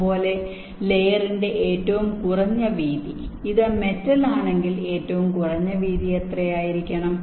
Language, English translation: Malayalam, similarly, minimum widths of the layers: if it is metal, what should be the minimum width